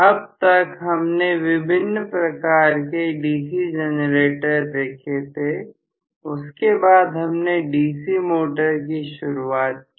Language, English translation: Hindi, Until now, we had seen the different types of DC generators; we just started on the DC motors in the last class